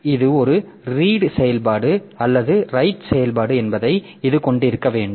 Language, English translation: Tamil, So, that should have this whether it is an read operation or a right operation